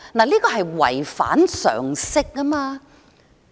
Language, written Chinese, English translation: Cantonese, 這是違反常識的。, This is against common sense